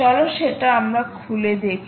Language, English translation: Bengali, lets open that now